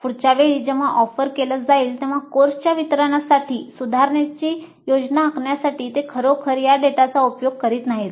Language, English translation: Marathi, They really do not make use of this data to plan improvements for the delivery of the course the next time it is offered